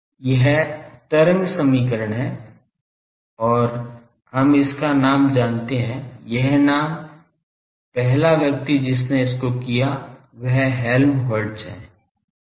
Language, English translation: Hindi, This is wave equation and we know its name this name the first person who did it the Helmholtz